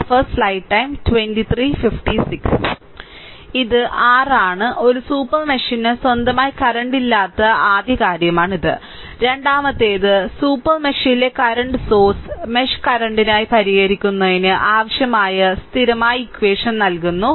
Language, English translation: Malayalam, This is your this is your this is the first thing a super mesh has no current of its own Second one is the current source in the super mesh provides the constant equation necessary to solve for the mesh current